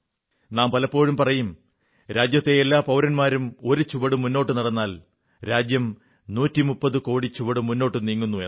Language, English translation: Malayalam, We often say that when every citizen of the country takes a step ahead, our nation moves 130 crore steps forward